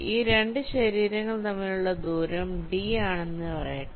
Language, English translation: Malayalam, ok, let say the distance between these two bodies is d